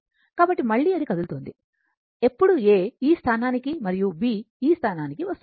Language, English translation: Telugu, So, again it is moving, again will come when A will come to this and B will come to this